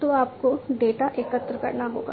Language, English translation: Hindi, So, you have to collect the data